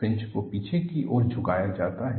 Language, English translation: Hindi, Fringes are tilted backwards